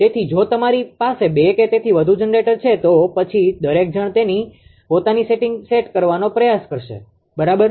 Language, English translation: Gujarati, So, if you have more than ah two or more generators then everybody will try to set its own setting, right